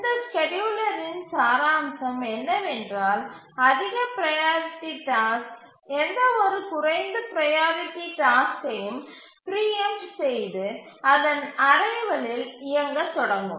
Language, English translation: Tamil, And the essence of this scheduler is that the higher priority task will preempt any lower priority tasks and start running on its arrival